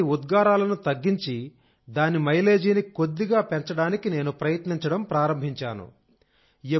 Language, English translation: Telugu, Thus, in order to reduce the emissions and increase its mileage by a bit, I started trying